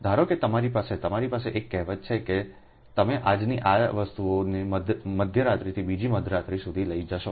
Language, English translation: Gujarati, suppose you have a, you have a say, you take from your ah ah today, ah ah ah this thing from mid night to ah next mid night